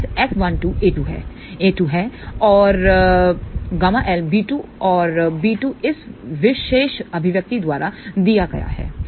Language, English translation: Hindi, a 2 is gamma L b 2 and b 2 is given by this particular expression